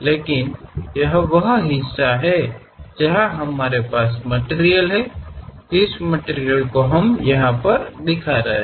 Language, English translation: Hindi, But this is the portion where we have material, that material what we are representing by this